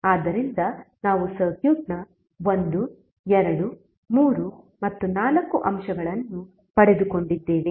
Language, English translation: Kannada, So we got 1, 2, 3 and 4 elements of the circuit